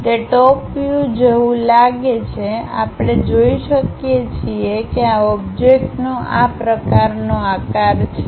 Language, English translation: Gujarati, It looks like in the top view, we can see that the object has such kind of shape